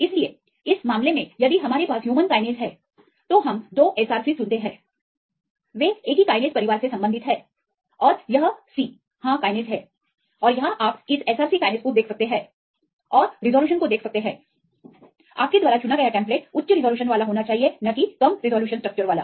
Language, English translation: Hindi, So, in this case if we have the human kinase, we choose the 2SRC they belong the same kinase family and the this is c YES kinase and here you can see this SRC kinase and the look at the resolution what is the resolution of the template you choose right there should be a high resolution right not the low resolution structure